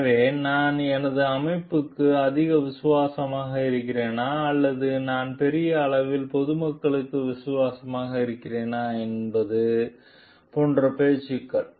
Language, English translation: Tamil, So, which talks of like whether I am more loyal to my organization or I am loyal to the public at large